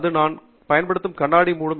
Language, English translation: Tamil, It would also cover the glasses that I am using